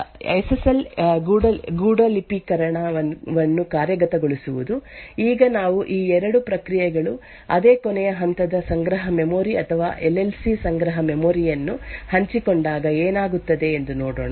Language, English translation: Kannada, So let us see how we have these 2 processes; both executing SSL encryption, now we will look at what happens when these 2 processes share the same last level cache memory or the LLC cache memory